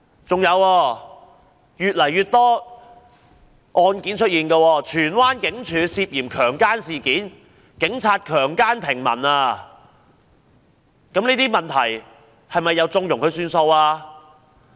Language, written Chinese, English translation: Cantonese, 這類案件越來越多，有女子在荃灣警署涉嫌被強姦，這是一宗警察強姦平民的事件，這些問題是否又縱容了事？, Such cases are growing in number . A woman was suspected to have been raped in the Tsuen Wan Police Station a case involving a civilian raped by police officers . Will they condone these problems once and again?